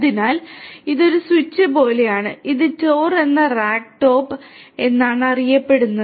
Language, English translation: Malayalam, So, this is like a switch and this is known as TOR means Top of Rack